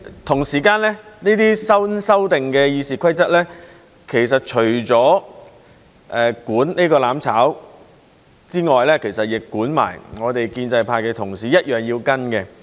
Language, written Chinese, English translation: Cantonese, 同時，這些新修訂的《議事規則》其實除了管"攬炒"之外，亦管我們建制派的同事，我們一樣要跟隨。, Meanwhile in addition to mutual destruction the newly amended RoP also apply to our pro - establishment colleagues and we need to follow these rules too